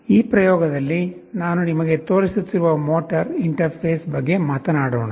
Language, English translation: Kannada, Let us talk about the motor interface that I shall be showing you in this experiment